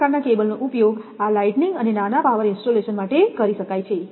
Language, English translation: Gujarati, This type of cable can be used because this for lighting and minor power installation